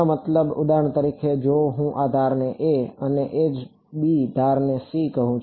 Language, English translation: Gujarati, You mean the for example, if I call this edge a and edge b and edge c